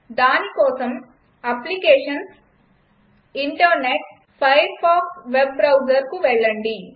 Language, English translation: Telugu, For that go to applications gt Internet gt Firefox web Browser.Click on this